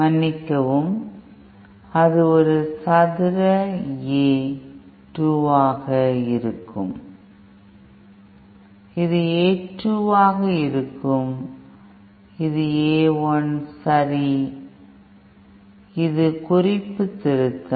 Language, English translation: Tamil, Sorry, that will be A 1 square A 2, this will be A 2, this is A 1, okay this is note correction